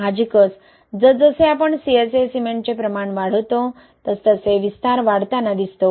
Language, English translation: Marathi, Obviously as we increase the amount of CSA cement, we see increase in expansion, right